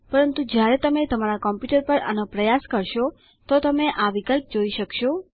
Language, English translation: Gujarati, But when you try this on your computer, you will be able to see this option